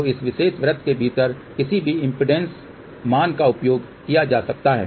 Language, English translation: Hindi, So, any impedance value with in this particular circle this approach can be used